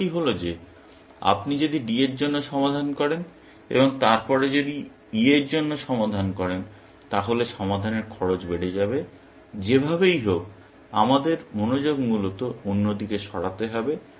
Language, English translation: Bengali, The idea being that if you solve for D and then, if you solve for E, then the solution cost shoots up then, we will anyway, have to shift attention to another side, essentially